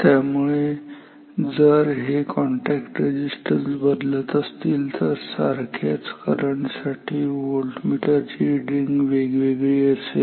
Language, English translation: Marathi, So, therefore, if these contact resistances are varying then for same amount of current the voltmeter reading will be different